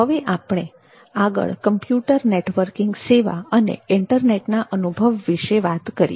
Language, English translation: Gujarati, next we come to the computer networking service the internet experience